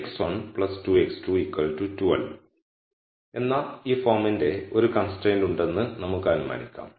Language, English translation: Malayalam, So, let us assume that we have a constraint of this form which is 3 x 1 plus 2 x 2 equals 12